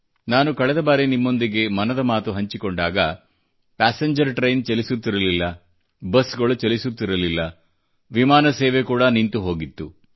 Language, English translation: Kannada, The last time I spoke to you through 'Mann Ki Baat' , passenger train services, busses and flights had come to a standstill